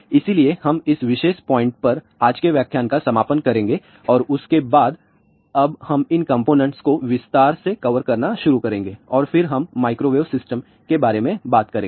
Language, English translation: Hindi, So, we will conclude today's lecture at this particular point and then now onwards, we will start covering these components in detail and then we will talk about microwave system